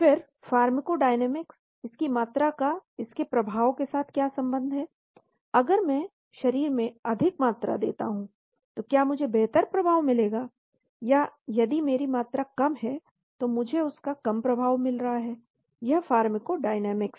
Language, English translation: Hindi, Then the pharmacodynamics what is the relationship of this effect of this concentration if I put more concentration inside the body will I get better effect or if I have less concentration and I get less effect that is pharmacodynamics